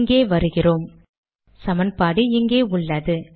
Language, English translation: Tamil, So lets come here – so the equation is here